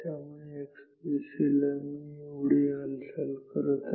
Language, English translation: Marathi, So, in the x direction I am moving this much